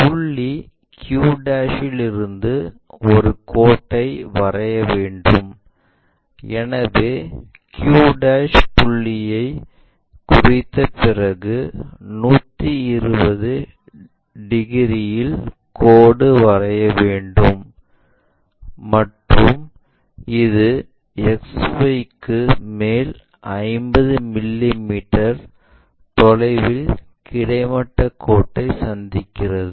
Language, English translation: Tamil, We have to draw a line from point q', so we have located q' point and a 120 degrees line we will draw it in that way, and this meets horizontal line at 50 mm above XY